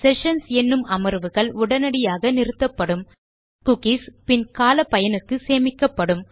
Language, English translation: Tamil, So sessions are killed straight away however cookies are stored for later use